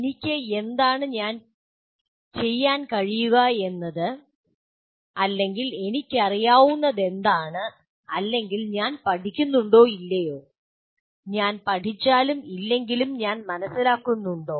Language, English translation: Malayalam, Do I understand what is it that I can do or what is it that I know or whether I am learning or not, whether I have learned or not